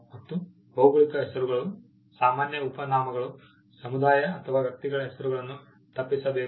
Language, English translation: Kannada, Geographical names, common surnames, names of community or persons should be avoided